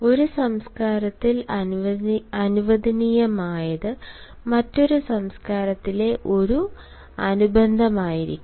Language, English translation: Malayalam, what is allowed in one culture may be an appendage in another culture